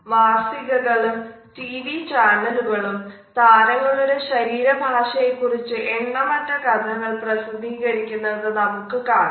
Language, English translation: Malayalam, We find that magazines as well as video channels TV channels carry endless stories on the body language of celebrities